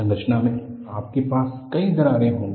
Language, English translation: Hindi, You will have many cracks in the structure